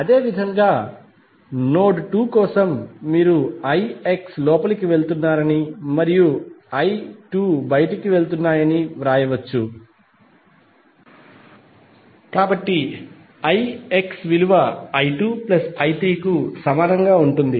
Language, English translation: Telugu, Similarly for node 2, you can write i X is going in and i 2 and i 3 are going out, so i X would be equal to i 2 plus i 3, what is i X